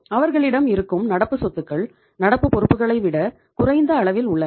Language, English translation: Tamil, They are keeping lesser amount of current assets as compared to current liabilities